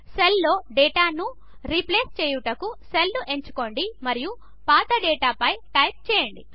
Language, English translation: Telugu, To replace the data in a cell, simply select the cell and type over the old data